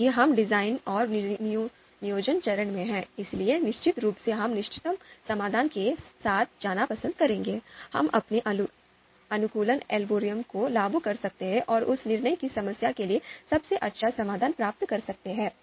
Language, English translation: Hindi, Aimed at obtaining optimal solution because we are in the design and planning phase, then of course we would prefer to go with the optimal solution, we can apply our optimization algorithms and achieve best solution that is possible for that decision problem